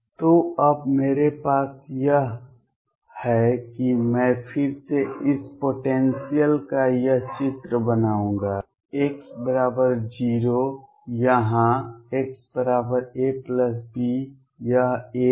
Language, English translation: Hindi, So, what I have now is I will again make this picture of this potential, x equals 0 here x equals a plus b, this is a